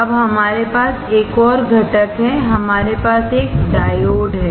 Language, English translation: Hindi, Now we we have another component; We have a diode